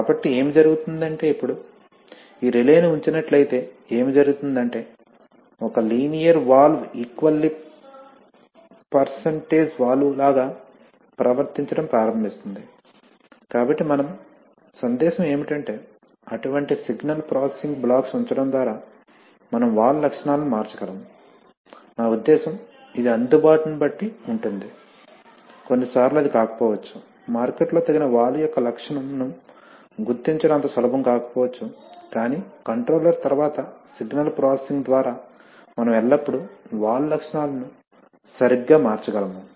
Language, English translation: Telugu, So what happens is that effectively, actually, so if you, if you put this relay now, then what will happen is that a linear valve will start behaving like an equal percentage valve, so what we, what is the message is that by putting such signal processing blocks, we can change the valve characteristics, I mean depending on the availability, sometimes it may not be, it may not be easy to locate a valve of that appropriate characteristic on the market but by signal processing after the controller, we can always change the valve characteristics right